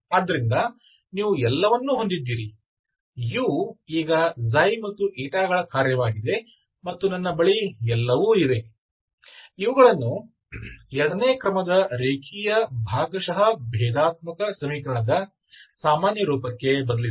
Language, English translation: Kannada, So you have everything, so u is a function of now xi and Eta, everything I have, you go and substitute into the general form of the second order linear partial differential equation